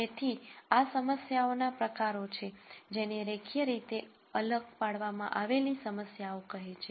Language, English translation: Gujarati, So, these are types of problems which are called linearly separable problems